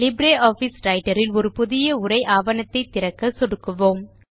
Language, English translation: Tamil, Let us now click on LibreOffice Writer to open a new text document